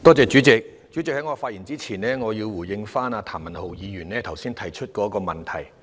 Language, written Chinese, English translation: Cantonese, 代理主席，在發言之前，我想回應譚文豪議員剛才提出的問題。, Deputy President before I speak I wish to respond to the issue raised by Mr Jeremy TAM